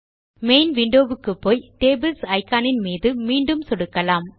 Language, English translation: Tamil, Now, let us go back to the main window and click on the Tables Icon again